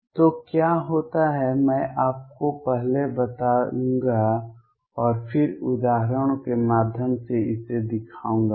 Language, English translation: Hindi, So, what happens, I will just tell you first and then show this through examples